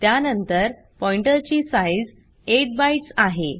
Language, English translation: Marathi, Then the size of pointer is 8 bytes